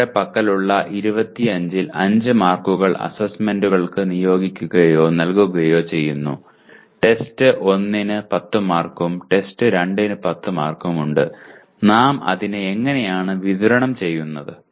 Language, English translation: Malayalam, Out of 25 that we have, 5 marks are assigned to or given to assignments and test 1 has 10 marks and test 2 has 10 marks and how are we distributing